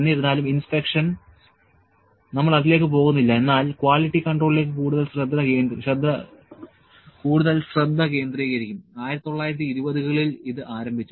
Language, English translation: Malayalam, However, inspection we will not go to that tangent, but will more focus in quality control, so in 1920s it is started